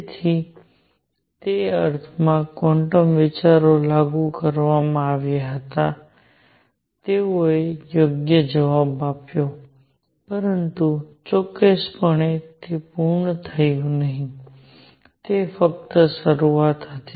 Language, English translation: Gujarati, So, in that sense, all though quantum ideas were applied, they gave the right answer, but certainly it was not complete, it was just the beginning